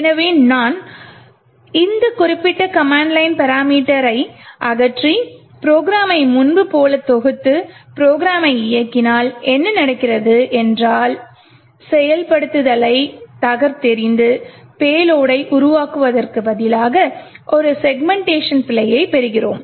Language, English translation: Tamil, So, if I remove this particular command line parameter, compile the program as before and execute the program, what happens is that instead of subverting execution and creating the payload we get a segmentation fault